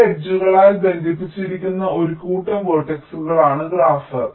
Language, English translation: Malayalam, graph is what a set of vertices connected by some edges